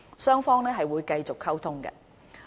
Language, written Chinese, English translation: Cantonese, 雙方會繼續溝通。, The liaison will continue